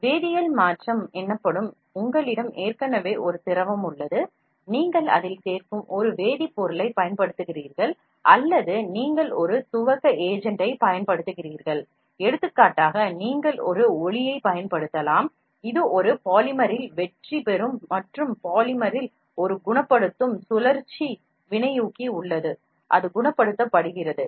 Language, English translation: Tamil, An alternative approach is to use a chemical change to cause the solidification, chemical change is what already you have a liquid, you apply either a chemical you add in it or you apply a initiating agent, for example, you can apply a light which goes hits at a polymer and the polymer has a curing cycle catalyst inside it cures, so that is what is a chemical approach